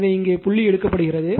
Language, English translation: Tamil, So, this dot thing is taken right